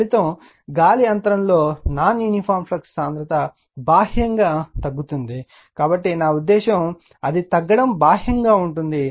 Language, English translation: Telugu, The result is non uniform flux density in the air gap that is decreasing outward right, so I mean decreasing your it is outwards